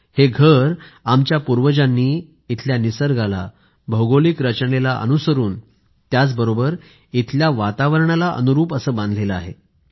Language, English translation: Marathi, These houses were built by our ancestors in sync with nature and surroundings of this place"